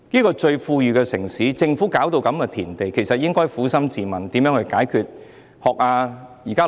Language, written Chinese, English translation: Cantonese, 作為最富裕的城市，政府卻搞到如斯田地，它應該撫心自問如何解決當前問題。, Hong Kong is the most effluent city but the Government has nonetheless reduced it to this state . It should therefore ask itself candidly how the current problem can be resolved